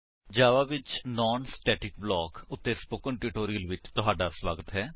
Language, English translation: Punjabi, Welcome to the Spoken Tutorial on Non static block in java